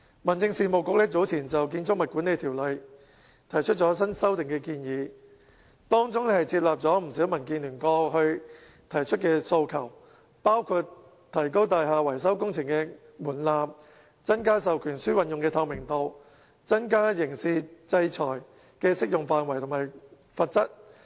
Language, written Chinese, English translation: Cantonese, 民政事務局早前就《建築物管理條例》提出新修訂建議，當中接納不少民建聯過去提出的訴求，包括提高大廈維修工程的門檻，增加授權書運用的透明度、增加刑事制裁的適用範圍及罰則。, Earlier the Home Affairs Bureau introduced new amendments to the Building Management Ordinance incorporating many recommendations put forward by DAB previously including raising the threshold for building repair projects increasing the transparency for proxy votes and expanding the scope and strengthening penalty of criminal sanction